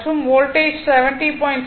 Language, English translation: Tamil, And voltage is equal to say 70